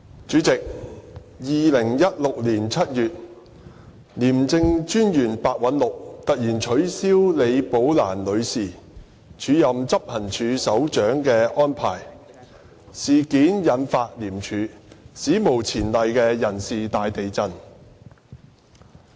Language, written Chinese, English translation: Cantonese, 主席 ，2016 年7月，廉政專員白韞六突然取消李寶蘭女士署任執行處首長的安排，事件引發廉署史無前例的人事大地震。, President the sudden cessation of the acting appointment of Ms Rebecca LI as Head of Operations by Independent Commission Against Corruption ICAC Commissioner Simon PEH in July 2016 triggered an unprecedented personnel upheaval in ICAC